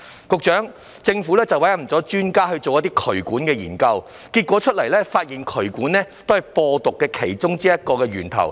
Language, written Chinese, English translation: Cantonese, 局長，政府委任專家對渠管進行研究，結果發現渠管是其中一個播毒源頭。, Secretary the Government has appointed experts to conduct studies on drainage pipes and found that drainage pipes are one of the sources of spreading the virus